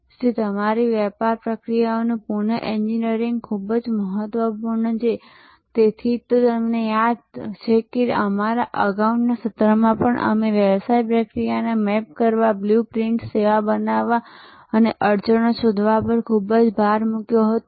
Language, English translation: Gujarati, So, reengineering of your business processes is very important and that is why if you remember in our earlier sessions we led so much emphasis on mapping the business process, creating the service blue print and finding the bottlenecks